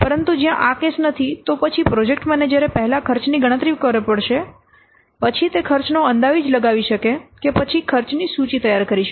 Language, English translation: Gujarati, But where this is not the case, then the project manager you will have to first calculate the cost, then he can or first estimate the cost, then he can prepare the cost scheduled